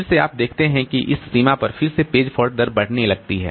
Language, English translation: Hindi, So, as a result, this page fault rate will increase